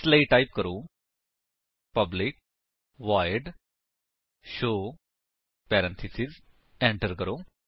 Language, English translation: Punjabi, So, type: public void show parentheses Enter